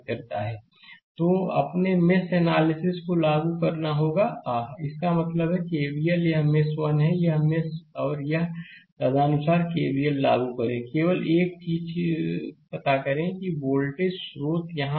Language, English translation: Hindi, So, we have to apply your mesh analysis ah; that means, KVL this is 1 mesh; this is another mesh, you apply KVL and accordingly, you find out only thing is that 1 voltage source is here